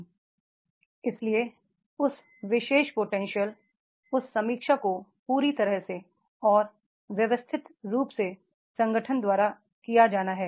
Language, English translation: Hindi, So therefore that particular potential that review has to be very thoroughly and systematically is to be done by the organization